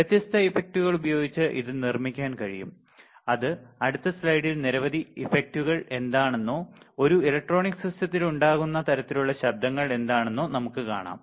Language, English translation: Malayalam, And it can be produced by several different effects right which we will see in the next slide its what are the several effects or what are kind of noise that can arise in a electronic system